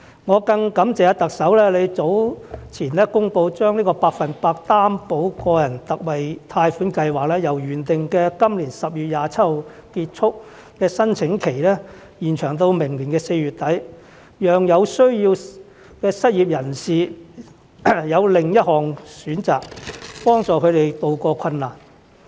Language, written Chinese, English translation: Cantonese, 我更感謝特首早前公布將百分百擔保個人特惠貸款計劃由原定今年10月27日結束的申請期，延長到明年4月底，讓有需要的失業人士有另一項選擇，幫助他們渡過困難。, I am also grateful to the Chief Executive for announcing earlier that the closing date of application for the 100 % Personal Loan Guarantee Scheme will be extended from 27 October this year to the end of April next year so that the needy unemployed will have another option to receive assistance to tide over their difficulties